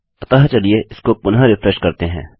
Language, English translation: Hindi, So lets refresh that again